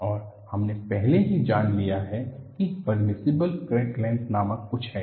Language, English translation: Hindi, And we have already noted that, there is something called permissible crack length